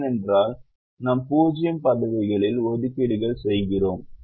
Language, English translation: Tamil, because we make assignments in zero positions